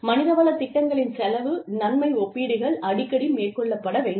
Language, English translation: Tamil, Cost benefit comparisons of human resources programs, should be conducted, frequently